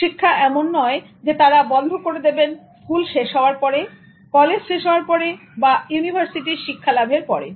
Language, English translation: Bengali, Learning is not something they stop with high school or with college or with university education